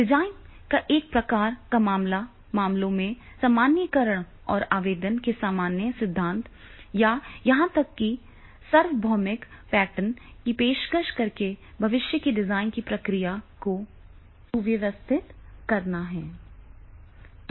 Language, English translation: Hindi, One aim of design in all its form is to generalize across the cases, streamlining the process of future design by offering general principles of application or even universal patterns